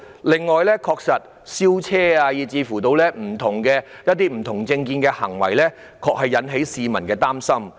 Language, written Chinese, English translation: Cantonese, 此外，燒車及某些持不同政見的人的行為，確實令市民感到擔心。, On the other hand setting vehicles and people with divergent views on fire have also become a cause for concern